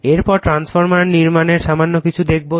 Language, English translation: Bengali, Next is the little bit of construction of the transformer